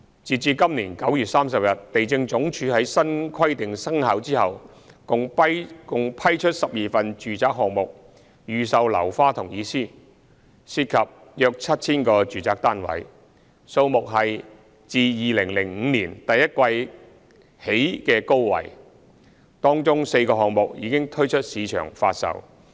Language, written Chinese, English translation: Cantonese, 新規定生效後，地政總署在今年第三季共批出12份住宅項目預售樓花同意書，涉及約 7,000 個住宅單位，批出單位數目是自2005年第一季以來的高位，當中4個項目已推出市場發售。, Since the implementation of the new requirement the Lands Department has during the third quarter this year issued 12 presale consents for residential developments involving some 7 000 residential units which is a record high since the first quarter of 2005 . Four of the developments have been launched for sale